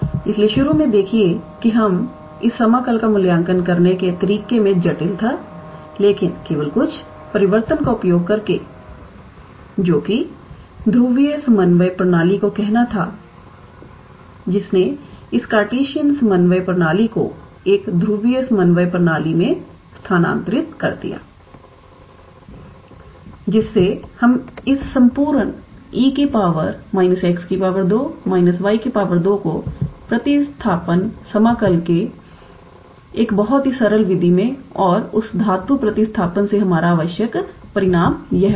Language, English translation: Hindi, So, see initially it was a little bit how to say complicated in a way to evaluate this integral, but just using some transformation which was how to say polar coordinate system which transferred this Cartesian coordinate system into a polar coordinate system we were able to reduce this whole e to the power minus x square plus y square into a fairly simple method of substitution integral and by doing that metal substitution our required result will be this